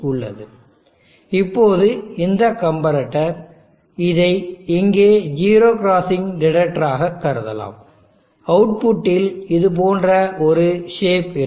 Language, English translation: Tamil, Now this comparator, can consider it as the 0 crossing detector here, will have a shape at the output here like this